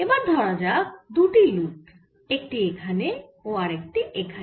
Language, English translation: Bengali, so let's consider two loop, one loop in this and another loop here